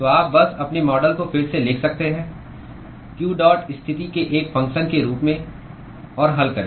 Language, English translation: Hindi, So, you could simply rewrite your model: q dot as a function of position, and solve